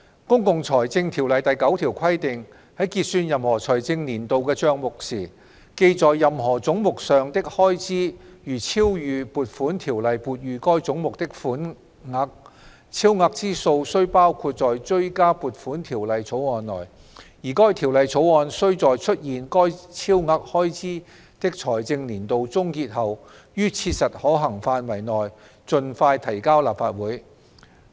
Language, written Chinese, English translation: Cantonese, 《公共財政條例》第9條規定："在結算任何財政年度的帳目時，記在任何總目上的開支如超逾撥款條例撥予該總目的款額，超額之數須包括在追加撥款條例草案內，而該條例草案須在出現該超額開支的財政年度終結後，於切實可行範圍內盡快提交立法會。, Section 9 of the Public Finance Ordinance provides that [i]f at the close of account for any financial year it is found that expenditure charged to any head is in excess of the sum appropriated for that head by an Appropriation Ordinance the excess shall be included in a Supplementary Appropriation Bill which shall be introduced into the Legislative Council as soon as practicable after the close of the financial year to which the excess expenditure relates . The 2017 - 2018 financial year has ended